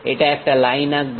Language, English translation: Bengali, It draws a line